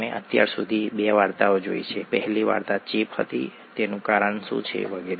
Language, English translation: Gujarati, We have seen two stories so far, the first one was about infection, what causes them and so on